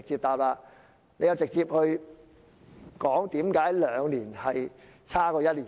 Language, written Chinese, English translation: Cantonese, 她直接說明為何兩年較1年差。, She directly explained why one year is worse than two years